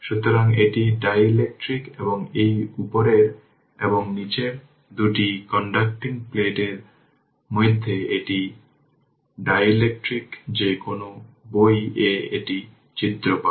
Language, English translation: Bengali, So, this is dielectric and this upper and lower two conducting plates and in between this is your what you call in between, this is dielectric right any book you will get this diagram right